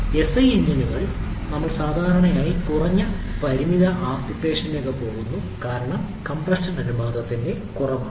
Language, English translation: Malayalam, Whereas SI engines we generally are restricted to low power applications because the compression ratio is lower